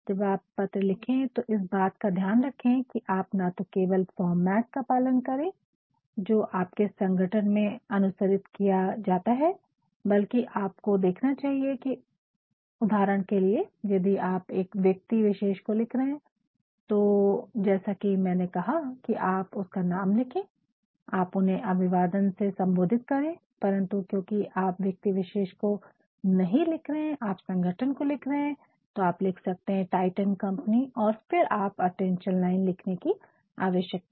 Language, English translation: Hindi, When you are writing a letter what you must see is not only are you following the format which is being practiced in your organization, but at the same time you must see, for example, if you are writing to an individual as I said naturally you write the name, you address them by salutation, but since you are not writing to the individual you are writing to the company so we can say titan company limited and then when you write the attention line there is no need writing attention line